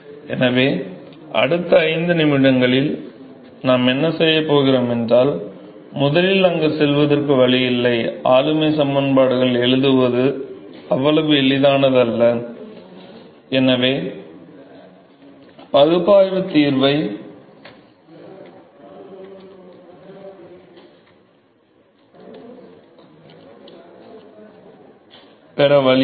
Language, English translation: Tamil, So, what we are going to do next 5 minutes so, is, there is no way to get first of all there it not easy to write the governing equations and therefore, there is no way to get analytical solution